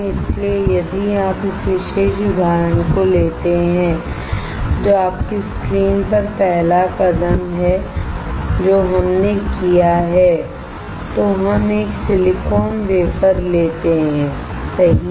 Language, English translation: Hindi, So, if you take this particular example which is on your screen the first step that we performed is we took a silicon wafer right